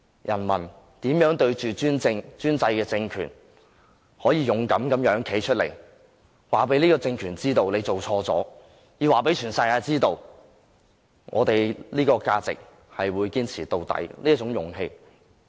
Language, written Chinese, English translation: Cantonese, 人民面對專制的政權，仍可勇敢地站出來，讓這個政權知道它做錯了，讓全世界知道我們這些價值和勇氣是會堅持到底的。, Even in the face of the autocratic regime people could pluck up the courage all the same and come forward with the intention of telling it that it was wrong and enabling the whole world to know that they would persistently uphold such values and their courage till the end